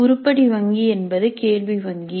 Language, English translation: Tamil, Now what is an item bank